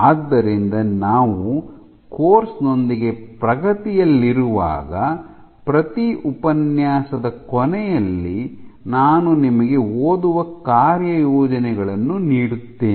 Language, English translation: Kannada, So, as we go forward at the end of every lecture I will give you reading assignments